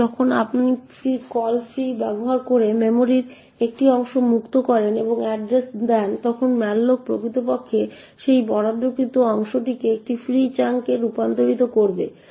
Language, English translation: Bengali, Now when you free a chunk of memory using the call free and giving the address then malloc would actually convert that allocated chunk to a free chunk